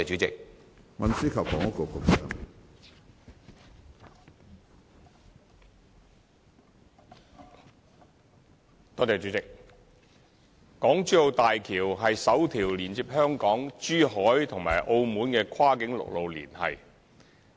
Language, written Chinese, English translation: Cantonese, 港珠澳大橋是首條連接香港、珠海和澳門的跨境陸路連繫。, The Hong Kong - Zhuhai - Macao Bridge HZMB is the first cross - boundary land - based connection among Hong Kong Zhuhai and Macao